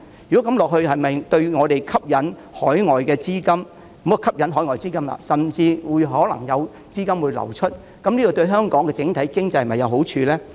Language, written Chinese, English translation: Cantonese, 如果這樣下去，對本港吸引海外資金——不要說吸引海外資金因為可能會有資金流出——這對香港整體經濟是否有好處呢？, If we allow the incident to run its course will it be helpful to attracting inward investments and conducive to the overall economy of Hong Kong―not to mention attracting foreign capital for there may be an outflow of it?